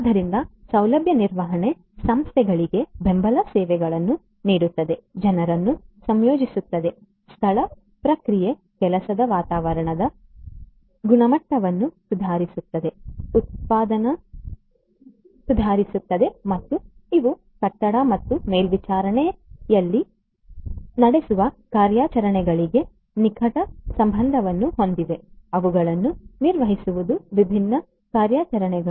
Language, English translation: Kannada, services for organizations, would integrate people, place, process, would improve the quality of the working environment, would improve productivity and these are closely related to the operations that are conducted in a building and monitoring, managing those different operations